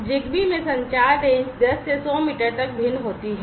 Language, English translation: Hindi, The communication range in ZigBee varies from 10 to 100 meters